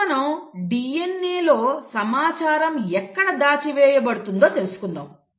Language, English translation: Telugu, So how is it that, where is it in a DNA that the information is stored